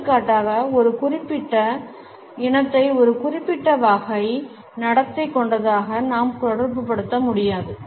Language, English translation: Tamil, For example, we cannot associate a particular race as having a certain type of a behaviour